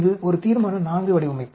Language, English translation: Tamil, This is a Resolution IV design